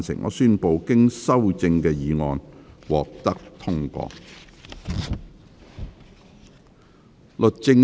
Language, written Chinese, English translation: Cantonese, 我宣布經修正的議案獲得通過。, I declare the motion as amended passed